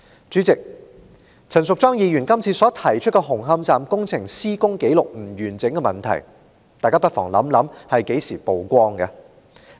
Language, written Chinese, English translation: Cantonese, 主席，大家不妨回憶，陳淑莊議員今次所提出紅磡站工程施工紀錄不完整的問題是何時曝光的？, President let us recall the date on which the problem of incomplete construction documentation of Hung Hom Station as set out in Ms Tanya CHANs motion first came to light